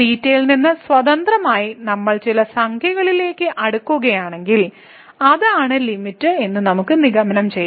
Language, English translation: Malayalam, So, if the independently of theta we are approaching to some number, we can conclude that that is the limit